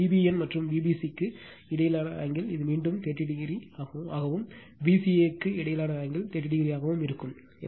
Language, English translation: Tamil, And angle between V b n and V b c, it is your 30 degree again and angle between V c a will be 30 degree